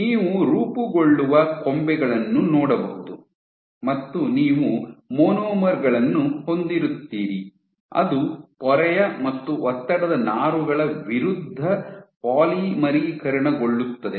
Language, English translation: Kannada, So, you can see branches which form, you will have monomers which will polymerize against the membrane and push it you will have these stress fibers as well